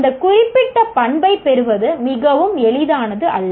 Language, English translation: Tamil, To acquire that particular characteristic is not going to be very easy